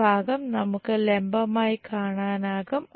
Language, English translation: Malayalam, This part we will see it like vertical